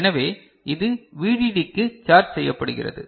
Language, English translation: Tamil, So, this is charged to VDD